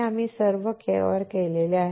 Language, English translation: Marathi, We have covered all of this